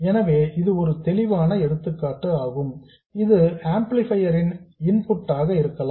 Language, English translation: Tamil, So, the obvious example is it could be the input of the amplifier